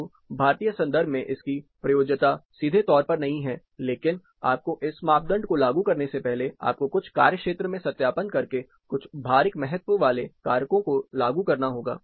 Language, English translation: Hindi, So, the applicability in Indian context it is not directly, but you have to apply some weightage factors, you have to do field validations, before applying this parameter